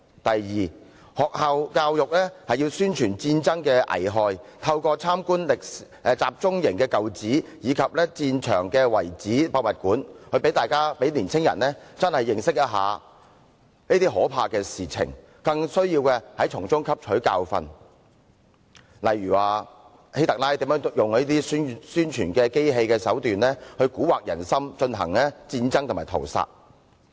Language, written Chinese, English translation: Cantonese, 第二，學校教育要宣傳戰爭的危害，透過參觀集中營舊址及戰場遺址博物館，讓青年人切實認識這些可怕的事情，更需從中汲取教訓，例如希特勒如何利用宣傳機器蠱惑人心，進行戰爭和屠殺。, Second schools have to promulgate the harmful effects of war and organize visits to the sites of concentration camps and battlefields so that young people can thoroughly learn the terrible events and the relevant lessons . For example students should learn how HITLER used his propaganda machine to delude people in order to wage war and commit massacres